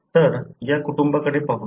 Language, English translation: Marathi, So, let’s look into this family